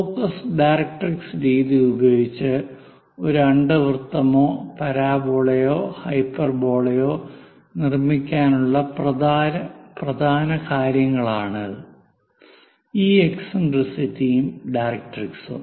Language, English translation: Malayalam, This eccentricity and directrix are the main things to construct an ellipse or parabola or hyperbola using focus directrix method